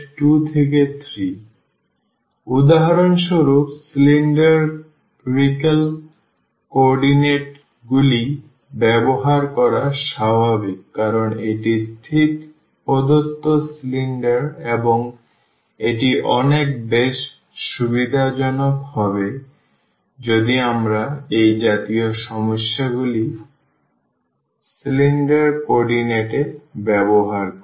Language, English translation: Bengali, So, it is natural to use for instance the cylindrical co ordinates because, this is exactly the cylinder is given and it will be much more convenient, if we use cylindrical coordinate in such problems